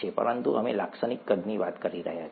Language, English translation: Gujarati, But we’re talking of typical sizes